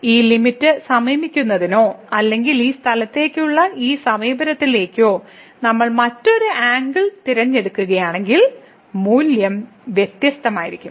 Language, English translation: Malayalam, So, if we choose a different angle to approach to this limit or to this approach to this point here the origin then the value will be different